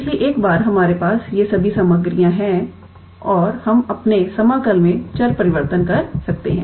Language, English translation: Hindi, So, once we have all these ingredients and we can do the change of variable in our integral